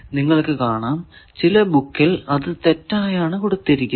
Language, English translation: Malayalam, This is you can see in some books these are wrongly given, but these are correct answer